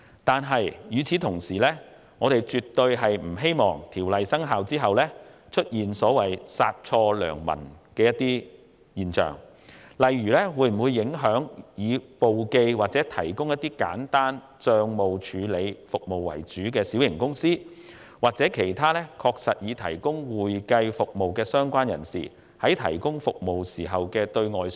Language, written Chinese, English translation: Cantonese, 但是，與此同時，我們絕不希望《條例草案》生效後，會出現殺錯良民的情況，例如以提供簿記及簡單帳務處理服務為主的小型公司，以及其他確實提供會計服務的相關人士，在對外宣傳時會否受到影響？, At the same time we definitely do not wish to see honest people being inadvertently caught after the commencement of the Bill . For instance will small companies which mainly provide bookkeeping and simple accounting services and other persons who really provide accounting services be affected when promoting their services to others?